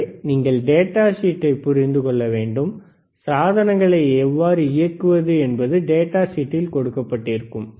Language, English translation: Tamil, So, that is data sheet that you have to understand the datasheet, how to operate the equipment is already given in the data sheet